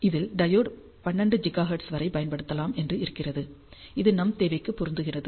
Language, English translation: Tamil, If can read the diode can be used up to 12 gigahertz, which fits our requirement